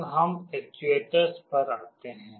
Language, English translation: Hindi, Now, let us come to actuators